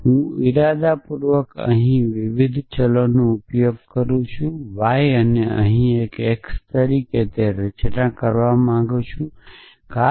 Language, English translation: Gujarati, So, I intentionally use a different variable here y and here an x here it is naught really necessary forming to do that